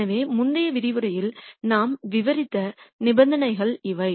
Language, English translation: Tamil, So, these are the conditions that we described in the previous lecture